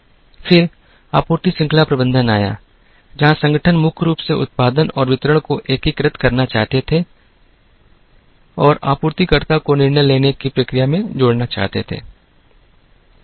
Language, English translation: Hindi, Then, came supply chain management, where organizations primarily wanted to integrate production and distribution and also wanted to add the supplier into the decision making process